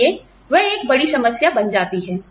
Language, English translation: Hindi, So, that becomes a big problem